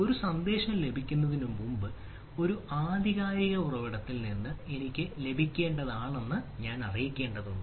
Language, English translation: Malayalam, so before receiving a message i need to know that i am supposed to receive from a authenticated source is and i am receiving those message